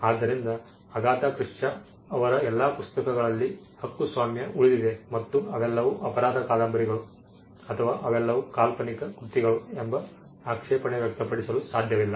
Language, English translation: Kannada, So, copyright subsist in all the books of Agatha Christie and they cannot be an objection that they are all crime novels, or they are all works of fiction